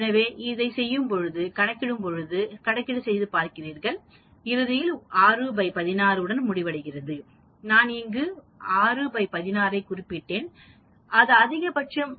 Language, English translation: Tamil, So you do all these calculations, you end up with 6 by 16, I mentioned here 6 by 16 that is the maximum